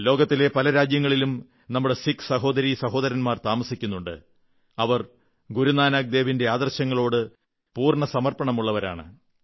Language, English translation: Malayalam, Many of our Sikh brothers and sisters settled in other countries committedly follow Guru Nanak dev ji's ideals